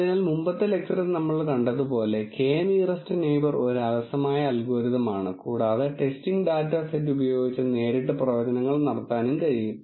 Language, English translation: Malayalam, So, as we have seen in the previous lecture, K nearest neighbour is a lazy algorithm and can do prediction directly with the testing data set